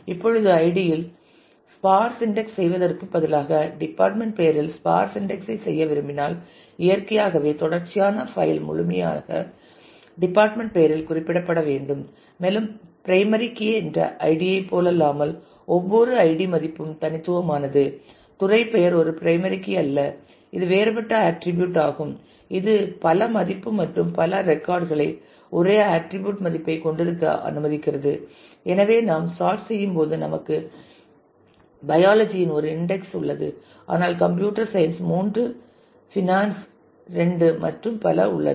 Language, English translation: Tamil, Now, instead of doing id if I want to do a dense index on department name, then naturally the sequential file has to be indexed primarily on the department name and as you can note that unlike the id which is also the primary key and therefore, every id value was unique the department name is not a primary key it is a different attribute which allows for multiple value multiple records having the same attribute value and therefore, when we sort we have one instance of biology, but three of computer science two of finance and so, on